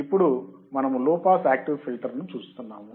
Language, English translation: Telugu, Now, we are looking at low pass active filter